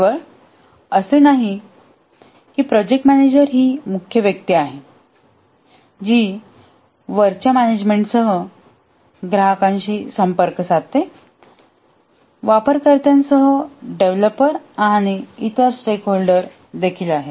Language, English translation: Marathi, And not only that, the project manager is the main person who liaises with the clients, with the top management, with the users, also the developers and other stakeholders